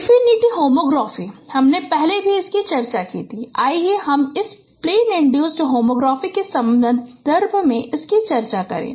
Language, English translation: Hindi, Infinite homography we discussed earlier also and let us discussed it in the context of this plane induced homography